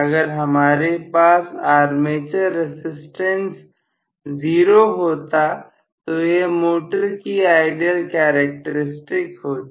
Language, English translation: Hindi, If I had had the armature resistance to be zero, so this would have been the ideal characteristics for the motor